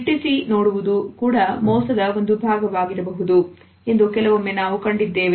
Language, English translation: Kannada, Sometimes we would find that a staring can also be a part of deception